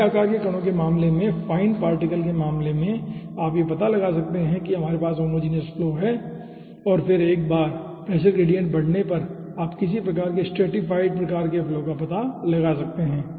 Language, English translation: Hindi, in case of fine particle you can find out we are having over here homogenous flow and then once the pressure gradient increases you will be finding out some shot of stratified flow kind of things